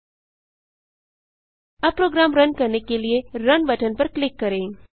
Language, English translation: Hindi, Now click on the Run button to run the program